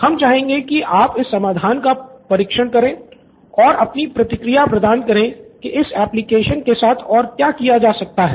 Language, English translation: Hindi, We would like you to test the solution and get a feedback what can be done with this application